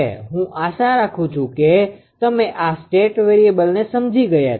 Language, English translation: Gujarati, I hope you have understood this the state variable